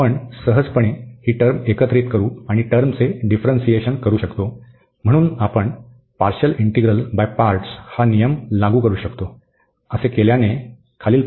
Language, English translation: Marathi, So, we can easy integrate this term, and differentiate this term, so we can apply the rule of partial of integral by parts